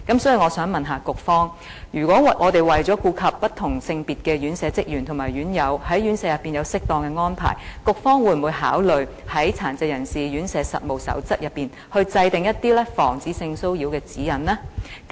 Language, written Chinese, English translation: Cantonese, 所以，我想問局方，為了顧及不同性別的院舍職員及院友在院舍裏有適當的安排，局方會否考慮在《殘疾人士院舍實務守則》內制訂一些防止性騷擾的指引呢？, As such I would like to ask the Bureau in order to provide appropriate arrangements for staff and residents of different sexes in care homes will it consider formulating some guidelines on prevention of sexual harassment in the Code of Practice for Residential Care Homes ?